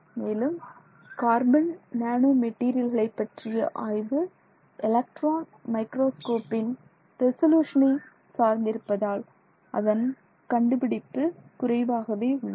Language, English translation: Tamil, And you will see in all these cases the discovery of carbon nanotubes and the reports of carbon nanotubes have been limited by the resolution of electron microscopes